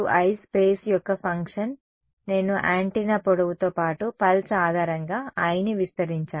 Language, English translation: Telugu, I is a function of space right I have got I expanded I on the pulse basis along the length of the antenna